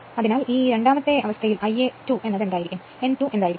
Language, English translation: Malayalam, So, right and this is in the second case what will be the, I a 2 and what will be n 2 right